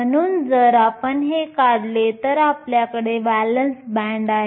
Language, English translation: Marathi, So, if you draw this, you have a valence band